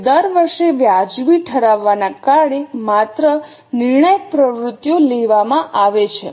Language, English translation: Gujarati, Now only the critical activities are taken because of the justification every year